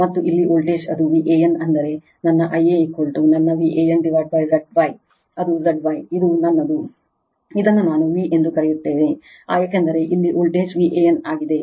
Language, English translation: Kannada, And voltage here it is V AN right that means, my I a is equal to my v an right divided by Z star that is Z Y this is my this is my your what we call V, because voltage here is a V AN